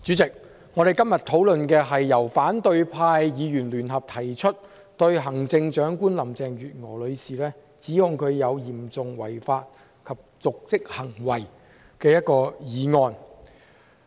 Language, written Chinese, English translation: Cantonese, 主席，我們今天辯論的是由反對派議員聯合提出、指控行政長官林鄭月娥女士有嚴重違法及瀆職行為的議案。, President what we are debating today is a motion jointly proposed by the opposition Members to charge the Chief Executive Carrie LAM with serious breaches of law and dereliction of duty